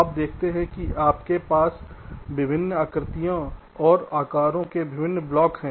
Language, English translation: Hindi, so you see, you have different blocks a various shapes and sizes